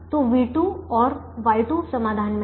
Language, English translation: Hindi, so v two and y two are in the solution